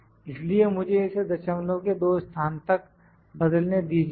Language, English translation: Hindi, So, let me convert it into 2 decimal places 17